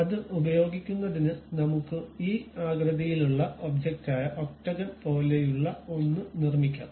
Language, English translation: Malayalam, To use that let us construct something like an object of this shape which is octagon